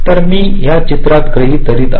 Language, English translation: Marathi, let say so i am assuming in this diagram